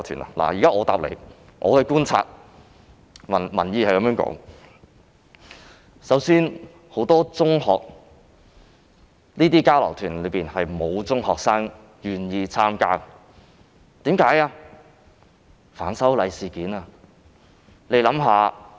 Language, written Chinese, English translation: Cantonese, 我想告訴他，從觀察民意所得，首先是沒有中學生願意參加這類交流團，原因正是反修例事件。, I want to tell him that as observed from public opinion first of all no secondary school students are willing to participate in this kind of exchange tours and the reason is precisely because of the opposition to the proposed legislative amendments